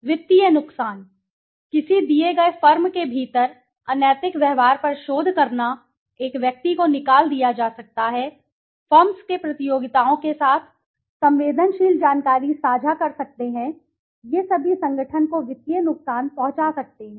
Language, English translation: Hindi, Financial harm, researching unethical behavior within a given firm, an individual being fired can get fired, share sensitive information with the firms competitors, all these could lead to financial harm to the organization